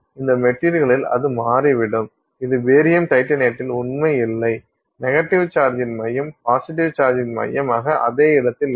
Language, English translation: Tamil, In barium titan it turns out that the center of the negative charge is not at the same location as the center of the positive charge